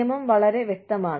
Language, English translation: Malayalam, The law is very clear cut